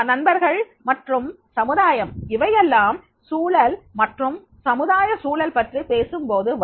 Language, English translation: Tamil, Family, friends and society when we talk about the environment, social environment